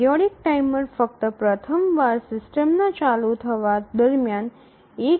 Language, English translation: Gujarati, The periodic timer is start only once during the initialization of the running of the system